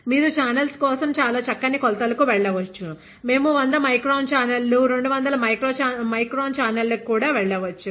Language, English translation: Telugu, You can go to very fine dimensions for the channels; like up to we can even go to 100 micron channels, 200 micron channels